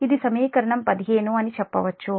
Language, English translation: Telugu, this is, say, equation fifteen